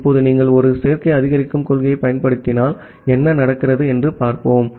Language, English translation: Tamil, Now, let us see what happens, if you apply a additive increase principle